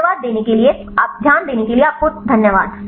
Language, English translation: Hindi, Thanks for your kind attention